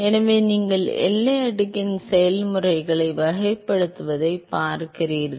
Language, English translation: Tamil, So, you are looking at characterizing the processes of the boundary layer